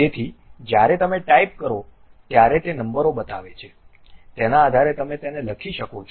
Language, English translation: Gujarati, So, when you are typing it it shows the numbers, based on that you can really write it